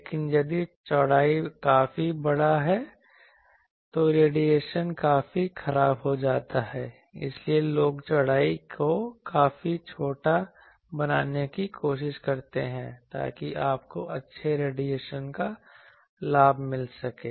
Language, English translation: Hindi, But, if the width is quite large, then the radiation becomes quite poor, so that is why people try to make the width quite small, so that you get the benefit of good radiation